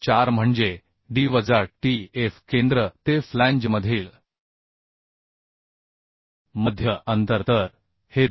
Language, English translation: Marathi, 4 means D minus tf center to center distance between flanges So this is becoming 290